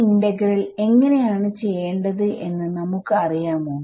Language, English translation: Malayalam, Do we know how to do this integral